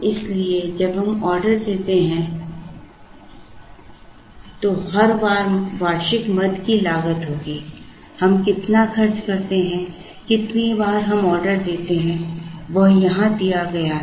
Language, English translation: Hindi, So, plus the annual item cost will be every time we place an order, we spend so much, the number of times we place an order is given here